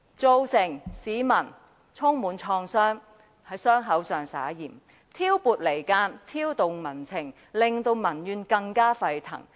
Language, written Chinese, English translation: Cantonese, 他對市民造成創傷，復在傷口上灑鹽，兼且挑撥離間、挑動民情，令民怨更加沸騰。, He has harmed the people rubbed salt into their wound driven a wedge between the Government and the public provoked the people and intensified public indignation